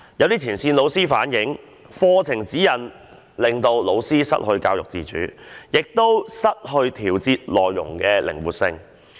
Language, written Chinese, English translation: Cantonese, 有前線老師反映，課程指引令老師失去教育自主性，亦失去調節內容的靈活性。, Some frontline teachers have pointed out that the curriculum guidelines have in effect deprived teachers of the autonomy of education and the flexibility to adjust the contents of the teaching materials